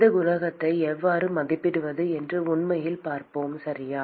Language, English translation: Tamil, And we will actually see how to estimate these coefficients, okay